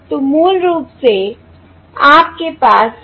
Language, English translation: Hindi, this is basically equal to 3